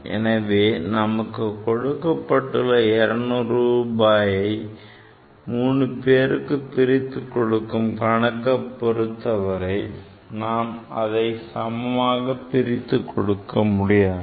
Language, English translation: Tamil, So, when problem is given to you that you equally divide the 200 rupees among three people; you cannot equally divide; it is impossible, ok